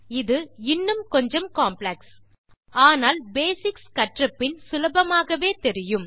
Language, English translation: Tamil, This is a bit more complex but once you learn the basics you will find it a lot easier